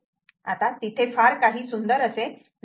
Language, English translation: Marathi, now, the beauty is not there